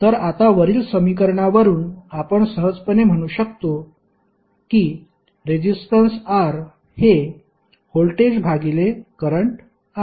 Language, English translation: Marathi, So, now from the above equation you can simply say that resistance R is nothing but, voltage V divided by current